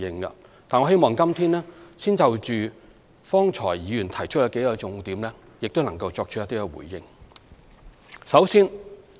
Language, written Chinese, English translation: Cantonese, 但是，我希望今天先就剛才議員提出的數個重點作出一些回應。, However I wish to give a brief response here to some main points raised by Members earlier